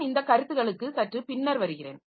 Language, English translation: Tamil, So, I'll come to this concept slightly later